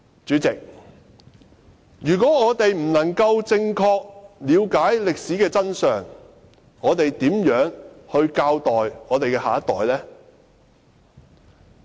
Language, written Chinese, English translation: Cantonese, 主席，如果我們無法正確了解歷史的真相，試問如何教育下一代呢？, President if we fail to properly find out the truth in history how can we educate our next generation?